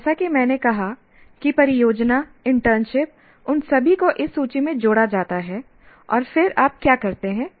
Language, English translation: Hindi, And as I said, the project, internship, all of them are added to this list